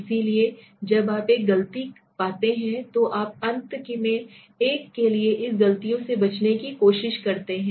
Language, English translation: Hindi, So and you when you find a mistakes you try to avoid this mistakes for the final one